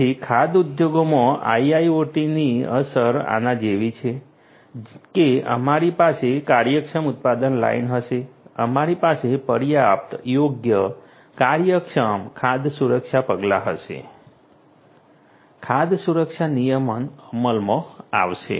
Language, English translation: Gujarati, So, the impact of IIoT in the food industry is like this that we are going to have efficient production line, we are going to have adequate, suitable, efficient food safety measures, the food safety regulation implemented